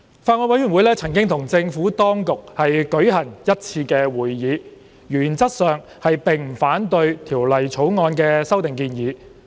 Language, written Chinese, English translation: Cantonese, 法案委員會曾與政府當局舉行1次會議，原則上並不反對《條例草案》的修訂建議。, The Bills Committee has held one meeting with the Administration . In principle the Bills Committee does not object to the proposed amendments in the Bill